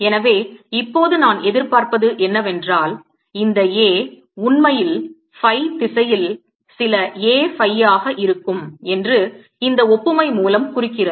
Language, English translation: Tamil, so what i anticipate now this implies, by analogy with this, that a would actually be some a phi in the phi direction